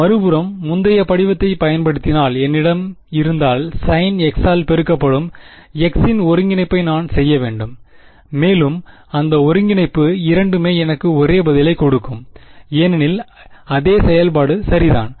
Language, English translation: Tamil, On the other hand if I have if use the previous form then I have to do the integration of x multiplied by sin x and do all that integration both will give me the same answer because is the same function ok